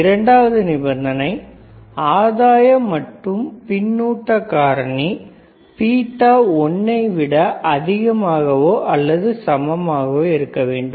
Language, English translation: Tamil, Second condition was the gain intoand feedback favector beta should be more of gain into beta should be greater than or equal to 1,